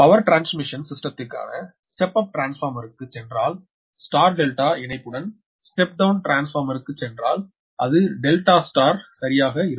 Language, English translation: Tamil, if you go for step down transformer with star delta connection, if you go for step up transformer for power transmission system, then it will be delta star, right